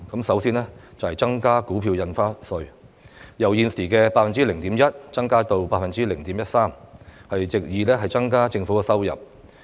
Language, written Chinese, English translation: Cantonese, 首先就是提高股票印花稅，由現時 0.1% 增加到 0.13%， 藉以增加政府收入。, Firstly the rate of stamp duty on stock transfers Stamp Duty will be raised from the current 0.1 % to 0.13 % to increase the Governments revenue